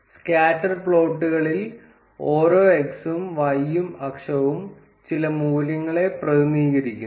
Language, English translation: Malayalam, In scatter plots, each of the x and the y axis represents some value